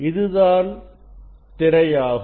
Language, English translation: Tamil, this is the screen